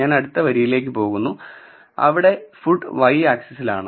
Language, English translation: Malayalam, I am going to the next row which is food on the y axis